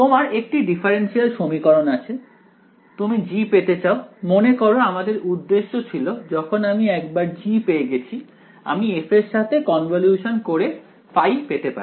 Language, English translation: Bengali, You have a differential equation, you want to find G remember that is our objective because once I find G, I can convolve with f and get my phi